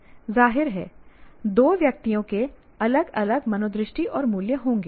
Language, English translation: Hindi, Obviously two individuals will have somewhat different values and attitudes